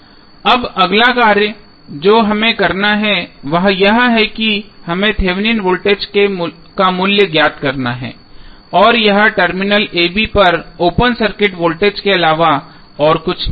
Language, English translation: Hindi, Now, next task what we have to do is that we have to find out the value of Thevenin voltage and that is nothing but the open circuit voltage across terminal a, b